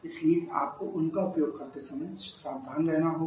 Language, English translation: Hindi, So you have to be careful while using them